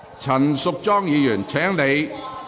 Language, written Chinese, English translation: Cantonese, 陳淑莊議員，請坐下。, Ms Tanya CHAN please sit down